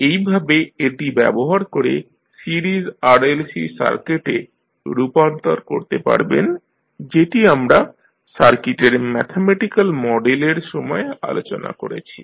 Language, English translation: Bengali, So, in this way using this you can transform the series RLC circuit which we discussed into mathematical model of the circuit